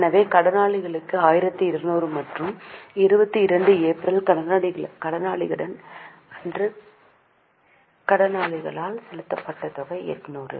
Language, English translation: Tamil, So, two debtors 1 2 00 and amount paid to creditors is by creditors on 22nd April 800